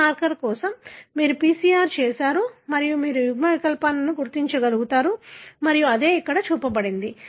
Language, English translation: Telugu, For every marker, you have done a PCR and you are able to identify the alleles and that is what shown here